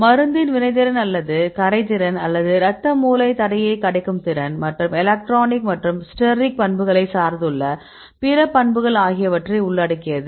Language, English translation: Tamil, For example the reactivity of the drug or the solubility or this ability to pass the blood brain barrier and lot of other properties that depends on the electronic and steric properties